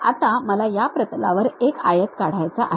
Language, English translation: Marathi, Now, I would like to draw a rectangle on this plane